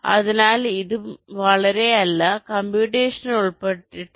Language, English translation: Malayalam, so this is also not very not computationally involved